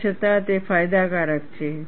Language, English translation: Gujarati, Nevertheless, it is beneficial